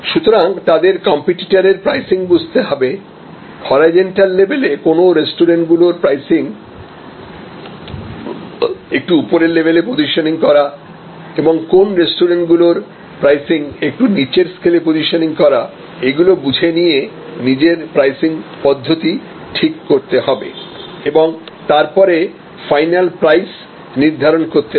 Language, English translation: Bengali, So, they have to therefore determine the pricing of competitor, so at the horizontal level; that means they appears, pricing of competitors who are positioning themselves at a higher price level and pricing strategy of restaurants, who are actually positioning themselves a little down on the scale and then, one has to select a pricing method and selected final price